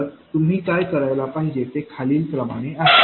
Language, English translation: Marathi, So, what you have to do is the following